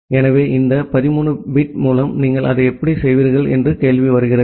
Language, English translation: Tamil, So, the question comes that with this 13 bit, how will you do that